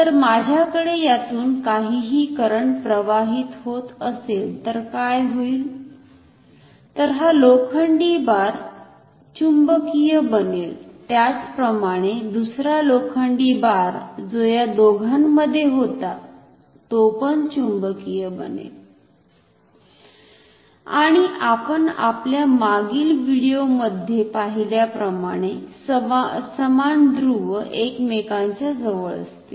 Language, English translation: Marathi, Then what will happen this iron bar will get magnetized, similarly the other iron bar which is inside both of them will get magnetized and as we have seen in our previous video, the similar poles will be close to each other